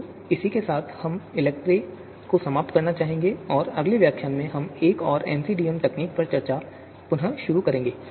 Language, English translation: Hindi, So with this we would like to conclude ELECTRE and in the next lecture, we will start our discussion on discussion on another MCDM technique